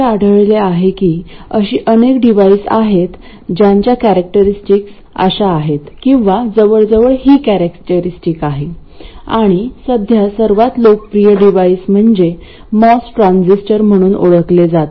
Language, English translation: Marathi, It turns out that there are many devices which have these characteristics or almost these characteristics and currently the most popular device is what is known as the Moss transistor